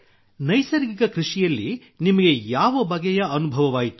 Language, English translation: Kannada, What experience did you have in natural farming